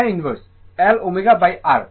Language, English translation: Bengali, It is tan inverse L omega by R